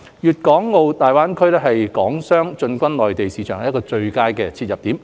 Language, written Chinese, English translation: Cantonese, 粵港澳大灣區是港商進軍內地市場的最佳切入點。, The Guangdong - Hong Kong - Macao Greater Bay Area GBA is an ideal entry point to tap into the Mainland market